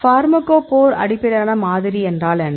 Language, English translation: Tamil, What is a pharmacophore based model